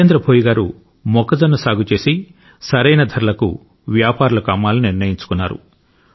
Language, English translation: Telugu, Jitendra Bhoiji had sown corn and decided to sell his produce to traders for a right price